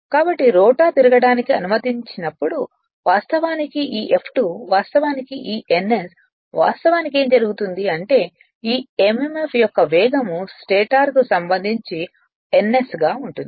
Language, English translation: Telugu, So, when rotor is you are not allowing the rotor to rotate so it actually this F2 actually this ns actually what will happen that is the speed of this mmf right